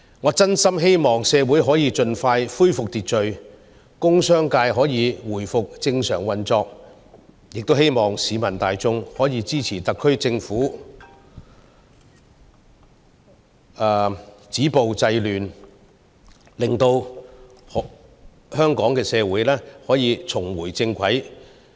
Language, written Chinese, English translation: Cantonese, 我真心希望社會可以盡快恢復秩序，工商界可以回復正常運作，亦希望市民大眾可以支持特區政府止暴制亂，讓香港社會得以重回正軌。, I truly hope that order can be expeditiously restored in society and that the industrial and business sectors can resume normal operation . I also hope that members of the public can support the SAR Government in stopping violence and curbing disorder so as to bring Hong Kong back to its normal track